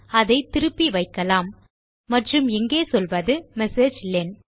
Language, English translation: Tamil, lets put that back and here you can say messagelen